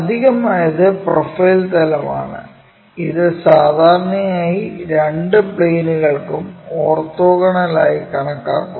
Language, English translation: Malayalam, The additional one is our profile plane which usually we consider orthogonal to both the planes that is this one